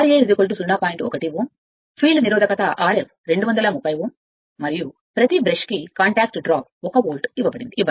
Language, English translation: Telugu, 1 Ohm field resistance R f 32 Ohm and contact drop per brush is given 1 volt